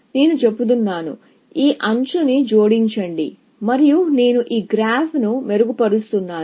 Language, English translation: Telugu, I am saying, add this edge, and I am refining this graph